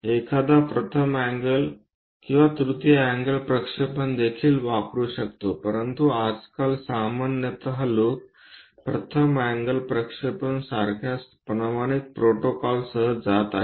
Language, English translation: Marathi, One can use first angle and also third angle projections, but these days usually people are going with a standardized protocol like first angle projection